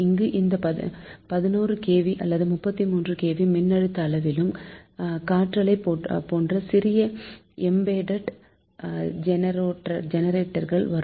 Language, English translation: Tamil, and here also, at this voltage level, eleven kv or thirty three kv, they have small embedded generator, for example wind generators